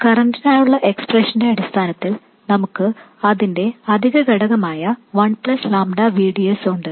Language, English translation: Malayalam, In terms of the expression for the current we have the additional factor 1 plus lambda VDS